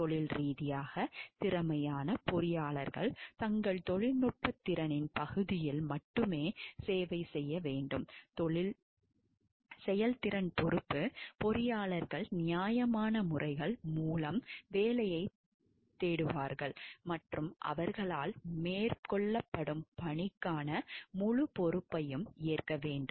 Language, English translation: Tamil, Undertake assignment were professionally competent engineers shall perform service only in the area of their technical competence, performance responsibility engineers shall seek work through fairer proper methods and shall take full responsibility for the task undertaken by them